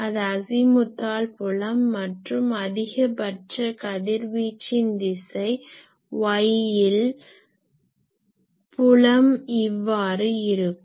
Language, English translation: Tamil, That is the Azimuthal field and this direction of maximum radiation y so, the field is like this